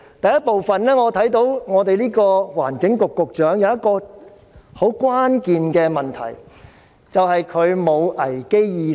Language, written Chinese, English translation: Cantonese, 第一，我看到環境局局長有一個很關鍵的問題，便是他沒有危機意識。, First the lack of a sense of crisis is a critical problem with the Secretary for the Environment